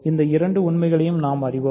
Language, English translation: Tamil, So, we know both of these facts